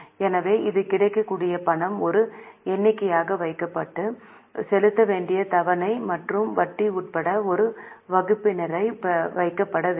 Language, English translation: Tamil, So, this much is a money available is kept as a numerator and the installment to be paid and the interest including the interest is to be kept as a denominator